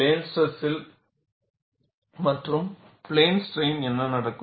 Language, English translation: Tamil, What happens in plane stress and what happens in plane strain